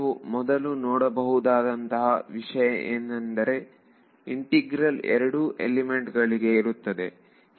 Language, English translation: Kannada, The first thing you can notice is that this integral is over 2 elements